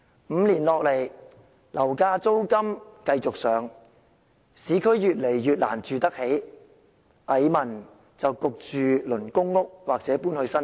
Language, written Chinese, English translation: Cantonese, 五年來，樓價、租金繼續上升，市區的房屋越來越難負擔得起，蟻民被迫輪候公屋或遷往新界。, Over the last five years property prices and rents have continued to rise making properties in the urban areas growingly difficult to afford and thus forcing the petty masses to wait for public rental housing PRH or move to the New Territories